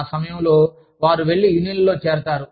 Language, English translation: Telugu, That is when, they go and join, unions